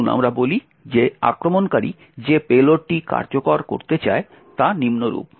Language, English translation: Bengali, Let us say that the payload that the attacker wants to execute is as follows